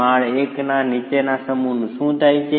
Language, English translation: Gujarati, What happens to the mass below of story 1